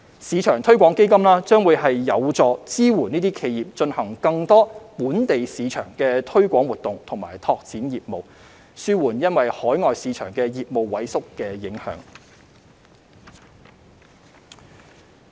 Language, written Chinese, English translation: Cantonese, 市場推廣基金將有助支援企業進行更多"本地市場"的推廣活動和拓展業務，紓緩因海外市場的業務萎縮的影響。, The SME Export Marketing Fund will support enterprises in conducting more local market promotion activities and business expansion so as to alleviate the impact of shrinking business in overseas markets